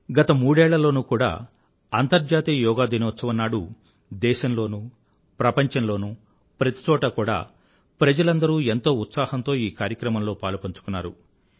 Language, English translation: Telugu, On the previous three International Yoga Days, people in our country and people all over the world participated with great zeal and enthusiasm